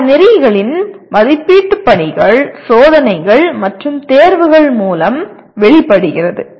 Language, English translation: Tamil, Assessment of the course outcomes through assignments, tests, and examinations